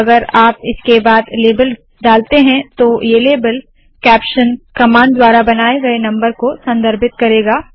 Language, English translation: Hindi, If you put the label after this, this label will refer to the number created using the caption command